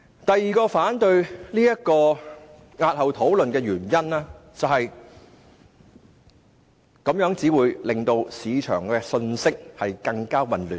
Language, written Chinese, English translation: Cantonese, 第二個反對押後討論《條例草案》的原因是，此舉會令市場的信息更混亂。, The second reason for opposing the postponement of the debate of the Bill is that this may make the already very confusing market information even more confusing